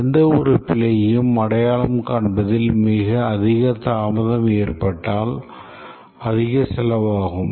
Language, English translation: Tamil, The more delay we have in identifying any error, the cost implications is huge